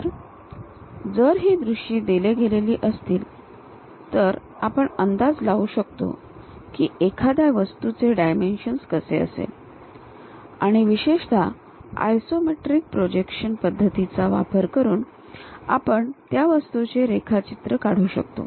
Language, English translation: Marathi, So, if these views are given, can we guess how an object in three dimensions looks like and especially can we draw that object using isometric projection method